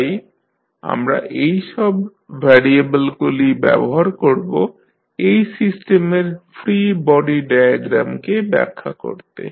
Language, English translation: Bengali, So, we will use these variables to define the free body diagram of the system